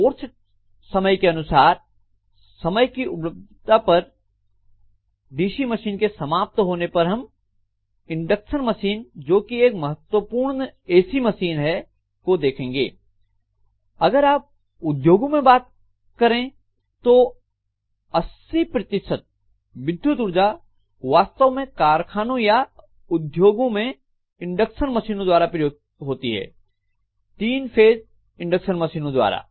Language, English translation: Hindi, Depending upon of course time, availability of time, then after completing DC machines we will be actually taking up induction machines, which is one of the most important AC machines, if you look at the industries 80 percent of the electrical energy actually in factories or industries is consumed by induction motors, three phase induction motors